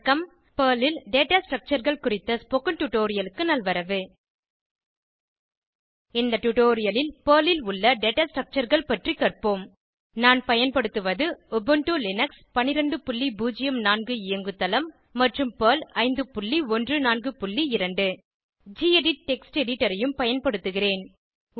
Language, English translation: Tamil, Welcome to the spoken tutorial on Data Structures in Perl In this tutorial, we will learn about Data Structures available in Perl Here I am using Ubuntu Linux12.04 operating system and Perl 5.14.2 I will also be using the gedit Text Editor